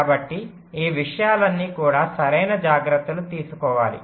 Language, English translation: Telugu, so all this things also have to be taken care of, right